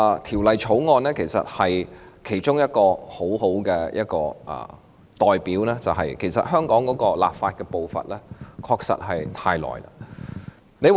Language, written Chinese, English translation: Cantonese, 《條例草案》是一個很好的例子，證明香港立法的步伐確實太慢。, The Bill is a very good example to prove that Hong Kong is indeed too slow in its legislative pace